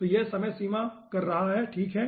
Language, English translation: Hindi, so it will be doing the time limit, okay